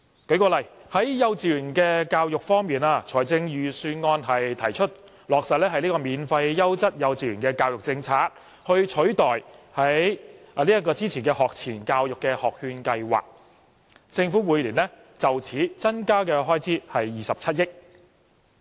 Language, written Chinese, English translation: Cantonese, 舉例而言，在幼稚園教育方面，預算案提出落實免費優質幼稚園教育政策，以取代之前的學前教育學券計劃，政府每年為此而增加的開支是27億元。, For example in respect of kindergarten education the Budget proposes implementing the free quality kindergarten education policy to replace the previous Pre - primary Education Voucher Scheme . The Governments annual expenditure will increase by 2.7 billion